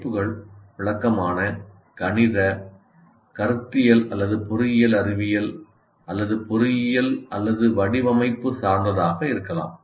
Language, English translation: Tamil, For example, courses can be descriptive, mathematical, conceptual or engineering science or engineering or design oriented